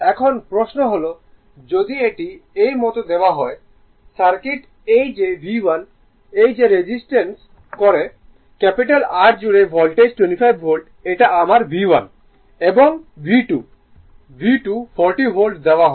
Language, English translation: Bengali, Now, question is it is given like this look the circuit is like this that V 1 that resists , Voltage across the , capital R is 25 Volt this is my V 1 right and V 2 , V 2 is given 40 Volt , right 40 Volt